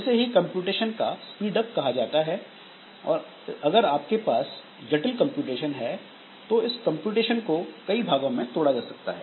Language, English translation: Hindi, So, this is the computational speed up may be there or if we can have some complex computation so that computation may be divided into several parts